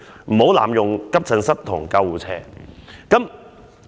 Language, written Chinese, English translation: Cantonese, 唔好濫用急診室同救護車。, Do not abuse AE and the ambulance